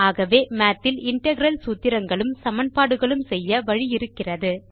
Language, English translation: Tamil, So these are the ways we can write integral formulae and equations in Math